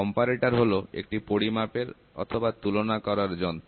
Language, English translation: Bengali, Comparator, measurement device or a comparator device